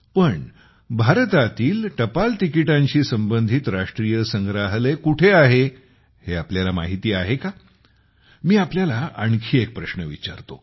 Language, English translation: Marathi, But, do you know where the National Museum related to postage stamps is in India